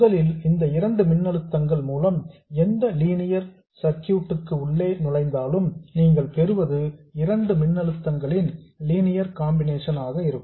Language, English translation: Tamil, First of all, if you throw these two voltages into any linear circuit, what you get will be a linear combination of the two voltages